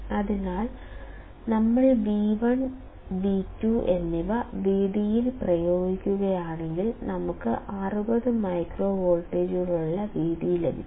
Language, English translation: Malayalam, So, we will substitute for V1 and V2; we get V d which is about 60 microvolts